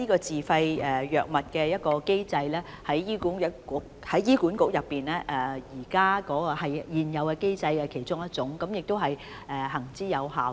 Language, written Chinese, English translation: Cantonese, 自費藥物機制是醫管局現有的其中一種機制，是行之有效的。, The SFI mechanism is one of the existing mechanisms of HA and it has been proven